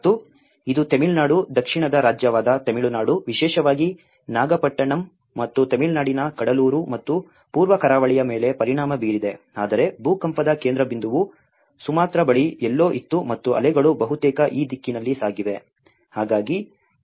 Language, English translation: Kannada, And it has affected the Tamil Nadu, the southern state of Tamil Nadu especially in the Nagapattinam and of course the Cuddalore and the East Coast of the Tamil Nadu but the epicenter was somewhere near Sumatra and waves have traveled almost in this direction